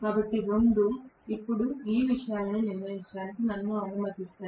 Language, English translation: Telugu, So, both will allow me to decide these things now